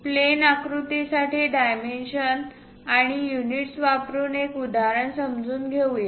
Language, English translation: Marathi, Let us understand dimensions and units using an example for a plane figure